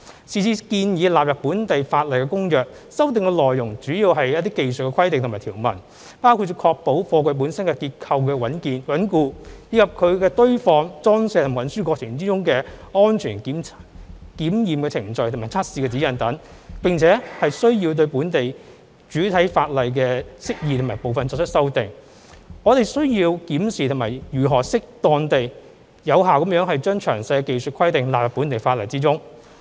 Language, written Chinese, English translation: Cantonese, 是次建議納入本地法例的《公約》修訂內容主要為技術規定和條文，包括為確保貨櫃本身結構穩固，以及在其堆放、裝卸和運輸過程中安全的檢驗程序和測試指引等，並且需要對本地主體法例的釋義部分作出修訂，我們需要檢視如何適當而有效地把詳細的技術性規定納入本地法例中。, Since the amendments in the Convention which are proposed to be incorporated into local legislation this time around are mainly technical specifications and provisions including testing and examination procedures and guidelines relating to the safety of the structural integrity of freight containers their stacking loading and unloading and transport we also need to make amendments to some definitions in the principal ordinance we therefore need to examine how to incorporate the detailed technical specifications into local legislation in an appropriate and effective manner